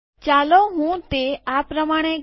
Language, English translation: Gujarati, Let me do it as follows